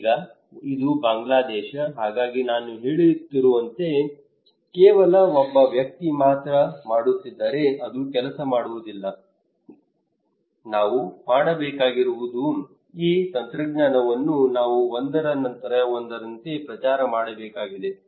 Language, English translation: Kannada, Now this is Bangladesh, so if only one person is doing as I am saying it would not work, what we need to do is that we need to promote this technology one after another